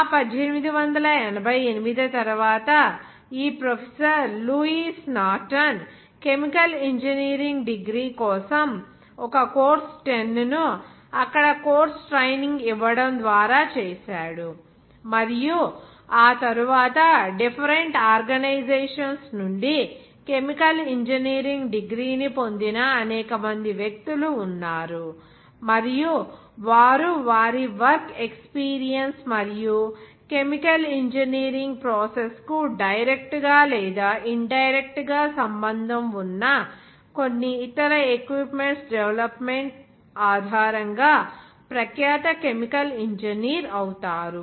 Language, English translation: Telugu, Just after that 1888 when this professor Lewis Norton made a course 10 for the chemical engineering degree by giving those course training there, and after that, there are several persons they got their chemical engineering degree from different organization and they become renowned chemical engineer based on their work experience as well as their development of some other equipment which will be directly or indirectly related to the chemical engineering process